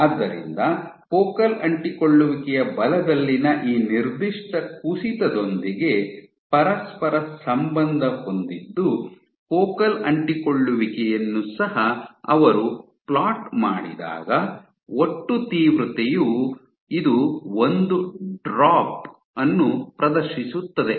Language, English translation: Kannada, So, correlated with this particular drop in focal adhesion force when they also plotted the focal adhesion the total intensity this also exhibited a drop